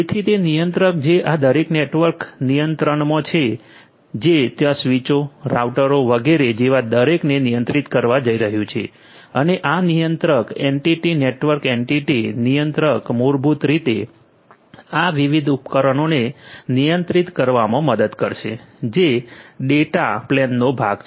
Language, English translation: Gujarati, So, that controller is the one which is going to control each of these different network entities which are there like switches, routers etcetera and this controller entity the network entity controller basically is going to help in controlling each of these different devices which are part of the data plane